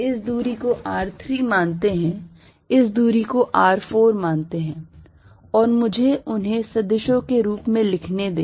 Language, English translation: Hindi, Let this distance be r4, and let me write them as vectors